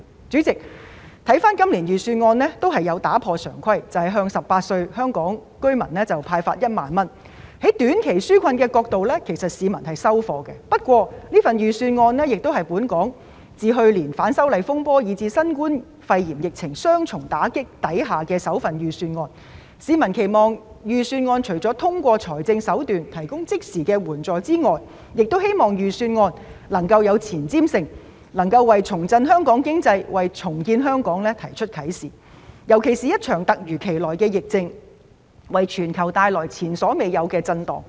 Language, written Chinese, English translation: Cantonese, 主席，預算案亦打破常規，向18歲及以上的香港居民派發1萬元，從短期紓困角度來看，市民是"收貨"的，但預算案是去年反修例風波以至新冠肺炎疫情雙重打擊後的首份預算案，市民期望預算案除了通過財政手段提供即時援助外，亦期望預算案有前瞻性，為重振香港經濟、重建香港作出啟示，尤其是在一場突如其來的疫症，為全球帶來前所未有的震盪的時候。, President the Budget also breaks the conventions by disbursing 10,000 to Hong Kong residents aged 18 and above . From the perspective of providing short - term relief members of the public find the initiative acceptable . However as this Budget is delivered after the double blow dealt by the disturbances arising from the opposition to the proposed legislative amendments and the novel coronavirus pneumonia epidemic members of the public expect the Budget to apart from providing immediate assistance via financial means be forward - looking and inspiring in respect of revitalizing the economy and rebuilding Hong Kong especially at a time when the sudden outbreak of the epidemic has caused an unprecedented global shock